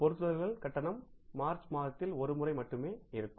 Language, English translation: Tamil, Fixtures payment will be once only in the month of March